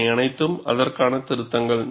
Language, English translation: Tamil, And these are all corrections to it